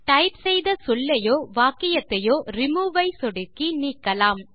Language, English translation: Tamil, We can remove the word or sentence typed, by clicking Remove